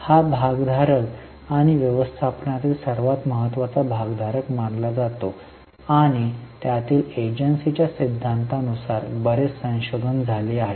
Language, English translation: Marathi, These are considered to be the most important stakeholders and you can go in, there is a lot of research which has happened in agency theory